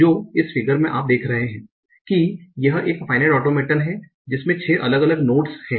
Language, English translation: Hindi, So in this figure you are seeing there is a financial automaton that is having six different nodes